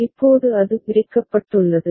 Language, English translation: Tamil, Now it has been split